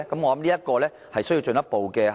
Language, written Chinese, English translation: Cantonese, 我想這方面需要進一步檢視。, I believe that we need to make further reviews in this regard